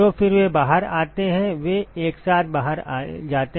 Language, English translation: Hindi, So, then they come out they go out together